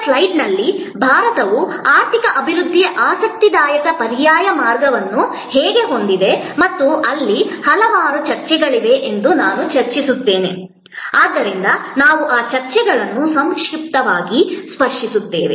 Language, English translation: Kannada, I will discuss that maybe in the next slide, that how India has an interesting alternate path of economy development and where there are number of debates, so we will briefly touch up on those debates